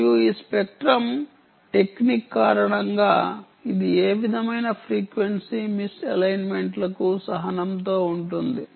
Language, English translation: Telugu, also because of this spectrum technique it is tolerant to any sort of frequency misalignments